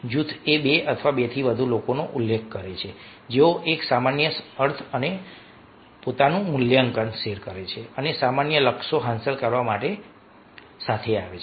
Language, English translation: Gujarati, a group prefers to two or more people who share a common meaning and evaluation of themselves and come together to achieve common goals